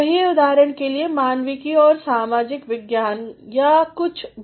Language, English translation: Hindi, Say for example, in Humanities and Social Sciences or whatsoever